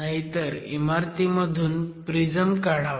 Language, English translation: Marathi, Otherwise, go for extraction of a prism itself